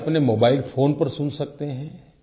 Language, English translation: Hindi, You can listen to it on your own mobile handset